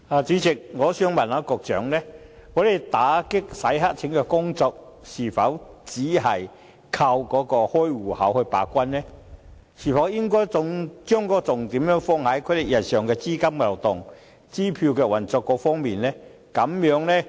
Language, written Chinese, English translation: Cantonese, 主席，我想問局長，在打擊洗黑錢的工作方面，我們是否只靠開戶時把關；我們是否應將重點放在有關戶口日常的資金流動和支票運作上？, President may I ask the Secretary whether the authorities rely solely on account opening control measures in combating money laundering and should not we play more attention to the daily capital flow and cheques exchanges of these accounts?